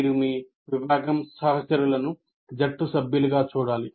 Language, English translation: Telugu, And you have to treat your department colleagues as members of a team